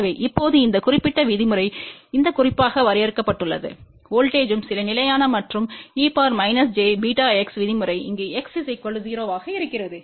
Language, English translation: Tamil, So, now, this particular term is defined in this particular form here so that voltage is some constant and e to the power minus j beta x term comes because x is equal to 0 over here